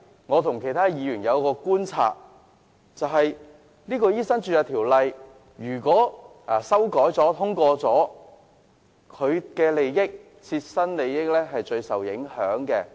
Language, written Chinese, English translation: Cantonese, 我和其他議員觀察所得，是如果《醫生註冊條例草案》提出的修訂獲得通過，他的切身利益會受最大影響。, As other Members and I observed his personal interests would sustain the greatest impact if the amendments under the Medical Registration Bill were passed